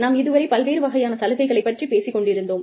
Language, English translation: Tamil, We were talking about, various types of benefits